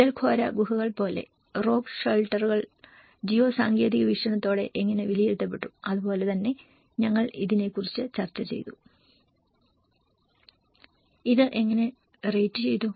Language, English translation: Malayalam, Like Pitalkhora caves, the rock shelters how they have been assessed with the GEO technological perspective and similarly, we also discussed about, How it has been rated